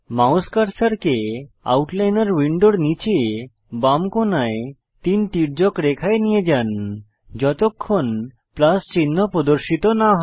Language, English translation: Bengali, Move your mouse cursor to the hatched lines at the bottom left corner of the right Outliner panel till the Plus sign appears